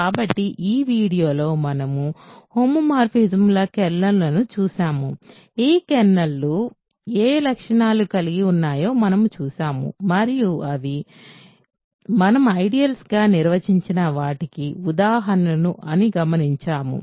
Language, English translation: Telugu, So, in this video we looked at kernels of homomorphisms, we looked at what properties those kernels have and noticed that they are examples of what we defined as ideals